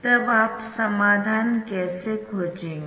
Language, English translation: Hindi, ok, you can find the solution